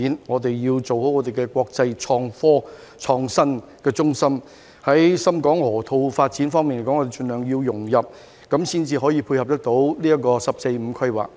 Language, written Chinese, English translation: Cantonese, 我們要做好國際創新科技中心，在深港河套發展方面也要盡量融入，才能配合"十四五"規劃。, To tie in with the 14th Five - Year Plan Hong Kong must properly perform its role as an international innovation and technology hub and integrate into the development of the Shenzhen - Hong Kong Loop as far as possible